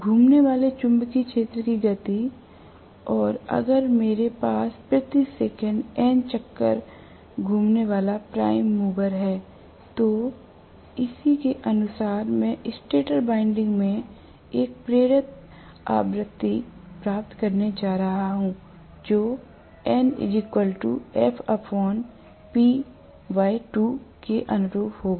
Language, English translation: Hindi, The speed of the revolving magnetic field, and if I have a prime over rotating at n revelations per second then correspondingly I am going to get an induced frequency in the stator winding which will correspond to f divided by P by 2